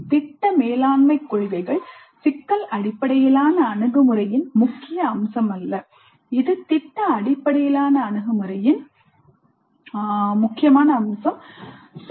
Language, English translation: Tamil, So the project management principles that is not a key feature of problem based approach while it is a key feature of project based approach